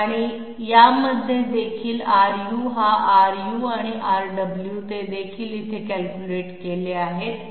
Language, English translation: Marathi, And in this one also R u this should be R u and R w, they are also figuring here, why